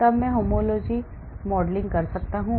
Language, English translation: Hindi, then I perform something called the homology modelling